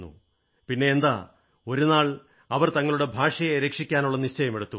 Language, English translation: Malayalam, And then, one fine day, they got together and resolved to save their language